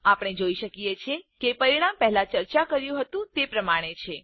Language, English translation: Gujarati, We can see that the result is as discussed before